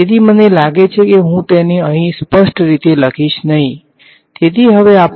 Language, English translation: Gujarati, So, I think I will not clearly write it over here ok, so, now how do we actually proceed with this